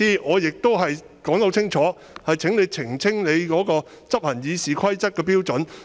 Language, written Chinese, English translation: Cantonese, 我剛才已清楚表示，請你澄清執行《議事規則》的標準。, As I have stated clearly just now please clarify your criteria for implementing the Rules of Procedure